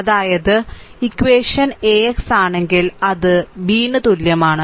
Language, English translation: Malayalam, So, this equation it can be written as AX is equal to B